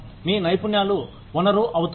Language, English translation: Telugu, Your skills become the resource